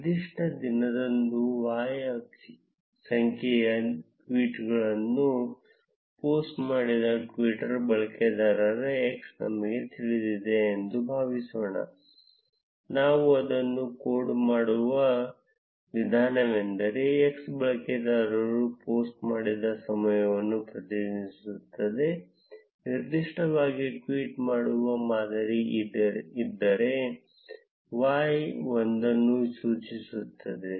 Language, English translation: Kannada, Now suppose we know a twitter user x who had posted y number of tweets on a particular day, the way we would code it is that x represents the time when the user posted, y would indicate one if there is a tweeting pattern on that particular day, and 0 if there is no tweet on that particular day, and z would represent the number of tweets that are posted on a particular day